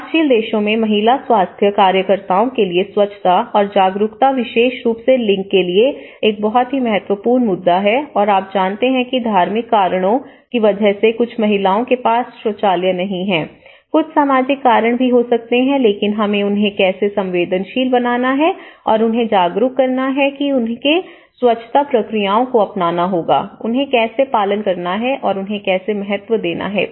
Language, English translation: Hindi, Sanitation awareness to woman health workers because sanitation is one of the very important issue in the developing countries and especially, for gender, you know the woman they don’t have toilets and because of there could be some religious reasons, there could be some social reasons to it, associated to it, but how we have to sensitize them and how we have to make them aware that they have to be adopting the sanitary procedures, you know how they have to follow, how they have to give the importance